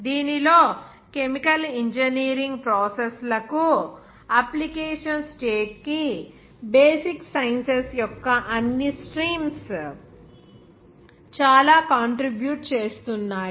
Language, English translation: Telugu, In which all the streams of sciences are contributing a lot for their basic sciences to the application state to the chemical engineering processes